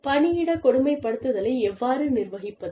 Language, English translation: Tamil, How do you manage, workplace bullying